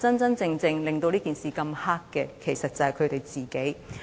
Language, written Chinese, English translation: Cantonese, 真正令這件事這麼黑的，其實是他們自己。, It is actually these Members themselves who made this issue so nasty and dark